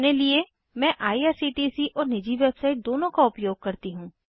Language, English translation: Hindi, Personally in my case I use both irctc and private website